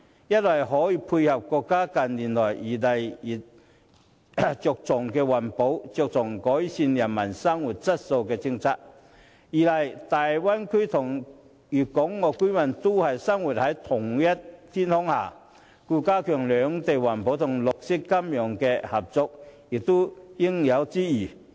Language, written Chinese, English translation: Cantonese, 一方面，此舉可以配合國家近來日益注重環保和改善人民生活質素的政策；另一方面，大灣區的粵港澳居民生活在同一天空下，兩地加強在環保和綠色金融方面的合作，也是應有之義。, On the one hand this is in line with the countrys recent policy of attaching importance to environmental protection and improving peoples quality of living and on the other hand as residents of Guangdong Hong Kong and Macao in the Bay Area live under the same sky it is our bounden duty to work together to protect the environment and promote green finance